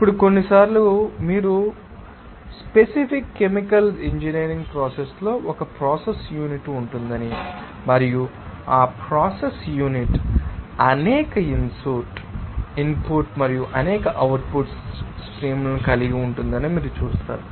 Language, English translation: Telugu, Now, sometimes you will see that in the particular chemical engineering process, there will be a process unit and that process unit will have several input and several output streams